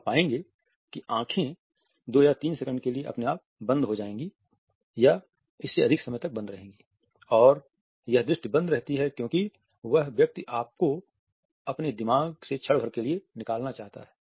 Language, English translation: Hindi, So, you would find that the eyes would shut automatically for two or three seconds are even longer and this sight remains closed as a person wants to remove you momentarily from his mind we can understand that it is a negative gaze